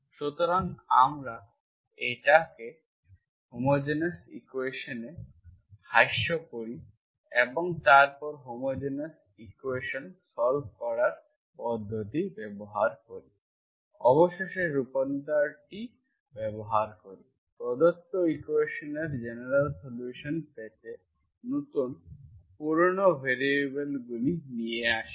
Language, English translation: Bengali, So this is, this is the equation, we reduce it into homogeneous equation and then use the method to solve the homogeneous equation, homogeneous equation, finally used the transformation, brought the new, old variables to get the general solution of the given equation as this